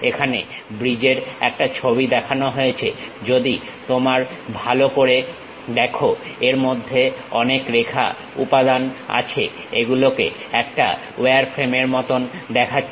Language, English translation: Bengali, Here a picture of bridge is shown, if you look at carefully it contains many line elements, it looks like a wireframe